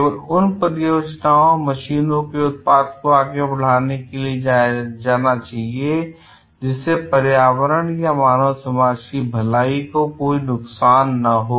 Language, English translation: Hindi, Only those projects, products of machine should be given to go ahead, that cause no harm to environment or human wellbeing